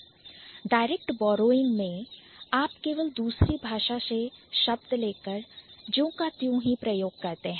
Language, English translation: Hindi, So, direct borrowing is something when you are just getting the word from the other language and you are using it as it is